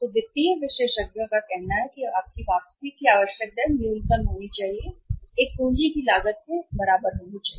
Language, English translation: Hindi, Financial experts say that your required rate of return should be, minimum it should be equal to the cost of a capital